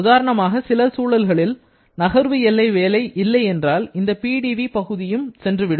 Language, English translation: Tamil, Like in certain situations, if there is no moving boundary work, then this PdV may also go off